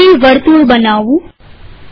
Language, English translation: Gujarati, I want to place a circle